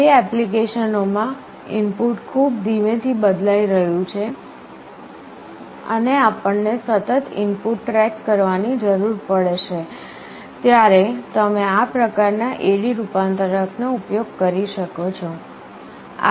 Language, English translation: Gujarati, For applications where the input is changing very slowly and we will need to continuously track the input you can use this kind of AD converter